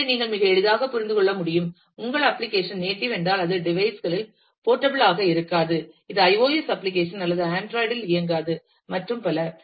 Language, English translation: Tamil, So, you can very easily understand, that if your application is a native one then it is not portable across devices, this is not an iOS application is not run on android and so on